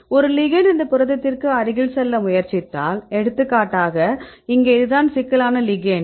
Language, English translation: Tamil, So, if a ligand tries to goes near to this protein right may for example, here this is the ligand here this makes the complex